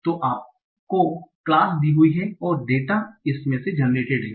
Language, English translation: Hindi, So your class is given and data generated from there